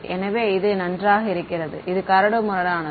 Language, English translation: Tamil, So, this is fine and this is coarse all right